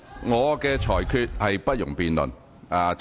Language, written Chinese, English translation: Cantonese, 我的裁決不容辯論。, My ruling is not subject to any debate